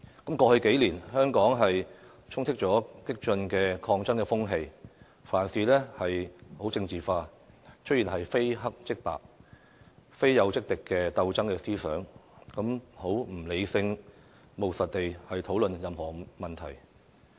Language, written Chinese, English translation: Cantonese, 過去數年，香港充斥激進的抗爭風氣，凡事都政治化，出現非黑即白、非友即敵的鬥爭思想，不能理性務實地討論任何問題。, Over the past few years Hong Kong had been shrouded in an atmosphere of radical struggles . All issues were politicized . Ideological struggles had taken shape that things were either black or white and people were either friends or foes